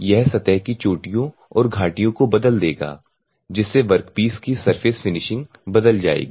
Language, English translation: Hindi, It will alter the peaks and valleys of the surface thereby altering the surface finish of the work piece ok